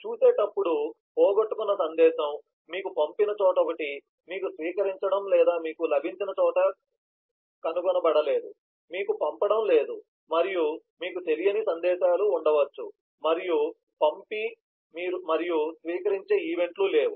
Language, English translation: Telugu, as we see, the lost message is one where you just have a sender, you do not have a receiver or a found you just have the receiver, you do not have a sender and you could have unknown messages where both the send and receive events are not present